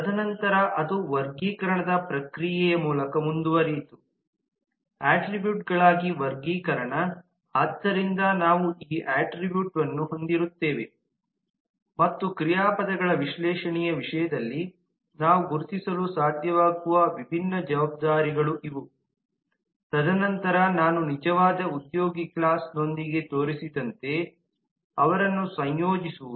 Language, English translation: Kannada, and then it went through the process of categorization, classification as attributes so we will have these attribute and these are the different responsibilities that we are being able to identify in terms of the analysis of verbs and then associating them as i showed with the actual employee class